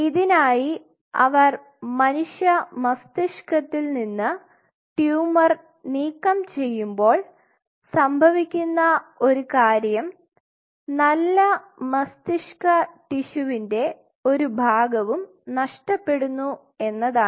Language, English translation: Malayalam, So, when they remove the tumor from human brain one of the thing which happens is that a part of the good brain tissue kind of is being also lost